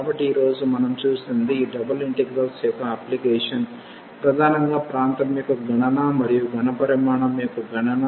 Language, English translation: Telugu, So, what we have seen today that applications of this double integrals mainly the computation of area and also the computation of volume